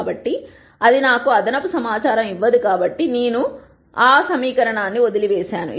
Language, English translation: Telugu, So, that does not give me any extra information so, I have dropped that equation